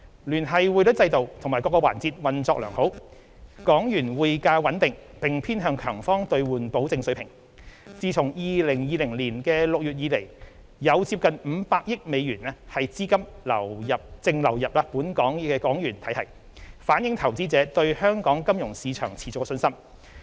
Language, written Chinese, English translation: Cantonese, 聯繫匯率制度及各個環節運作良好，港元匯價穩定並偏向強方兌換保證水平，自2020年6月以來有接近500億美元的資金淨流入港元體系，反映投資者對香港金融市場持續的信心。, The Linked Exchange Rate System and different facets of the financial services sector have been operating smoothly . The Hong Kong dollar HKD exchange rate has remained stable and stayed near the strong side convertibility undertaking . A net inflow of nearly US50 billion into the HKD system has been recorded since June 2020 reflecting investors continuous confidence in Hong Kongs financial markets